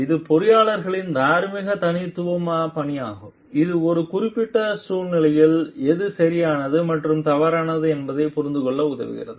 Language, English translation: Tamil, It is a moral leadership style of the engineers which helps you to understand what is right and wrong in a particular situation